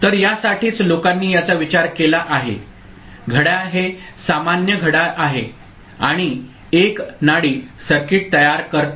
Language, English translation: Marathi, So, for that people have thought about the clock is the normal clock here and a pulse forming a circuit ok